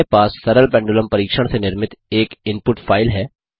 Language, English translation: Hindi, We have an input file generated from a simple pendulum experiment